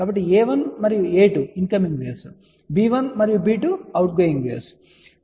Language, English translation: Telugu, So, we had seen that a 1 and a 2 incoming waves, b 1 and b 2 are the outgoing waves ok